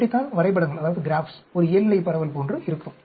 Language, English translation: Tamil, This is how the graphs will look like a normal distribution